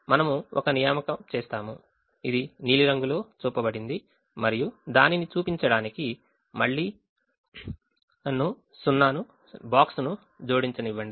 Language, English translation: Telugu, we make an assignment which is shown in the blue color, and again let me add the box just to show that it is an assignment